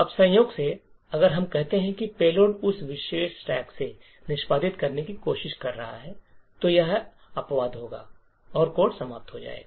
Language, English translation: Hindi, Now by chance if let us say the payload is trying to execute from that particular stack then an exception get raised and the code will terminate